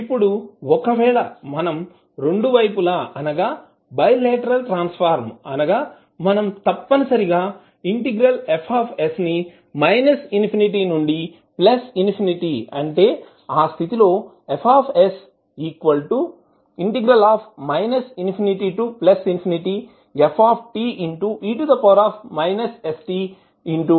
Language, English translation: Telugu, Now if you want both sides that is bilateral transform means you have to integrate Fs from minus infinity to plus infinity